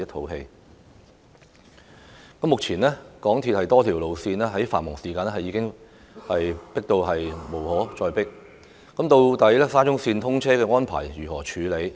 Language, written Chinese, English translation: Cantonese, 現時在繁忙時段，港鐵公司多條路線已經擠迫之極，無法接載更多乘客，沙中綫通車安排應如何處理？, The current situation is that a number of MTR lines are already extremely crowded and cannot carry more passengers . How should we deal with the arrangements for the opening of SCL?